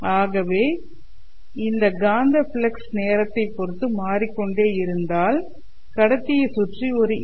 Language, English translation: Tamil, So if this magnetic flux is changing with respect to time, then there will be a EMF induced around the conductor